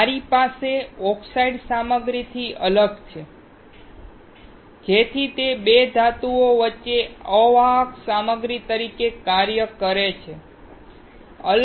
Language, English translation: Gujarati, I have separation with the oxide material so that it acts as an insulating material between 2 metals